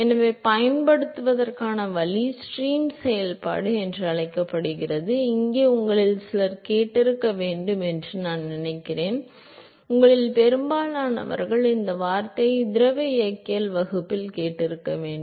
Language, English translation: Tamil, So, the way to use is called the stream function, here some of you must have heard I think, most of you must have heard this word in a fluid mechanics class